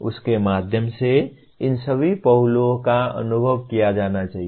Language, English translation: Hindi, Through all that, all these aspects should be experienced